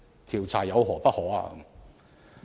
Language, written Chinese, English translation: Cantonese, 調查有何不可？, What is wrong with an investigation?